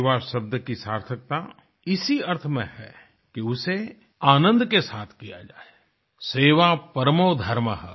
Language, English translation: Hindi, Service as a virtue is meaningful when it is performed with a sense of joy'Seva Parmo Dharmah'